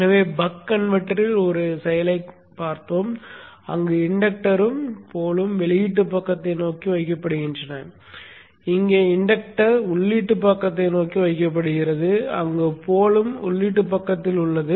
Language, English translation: Tamil, So we have seen one action in the buck converter where the inductor and the pole are placed towards the output side and here the inductor is placed towards the input side where the pole is on the input side